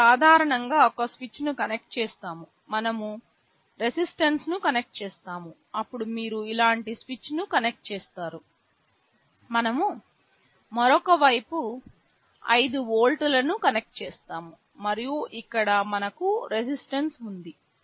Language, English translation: Telugu, Typically we connect a switch is like this; we connect a resistance, then you connect a switch like this, on the other side we connect 5 volts and here we have resistance